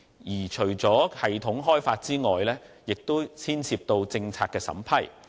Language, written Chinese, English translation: Cantonese, 而且，除了系統開發外，亦牽涉到政策審批。, In addition to system development policy approval is also an issue